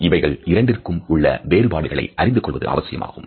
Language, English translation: Tamil, It is very important to know the difference between these two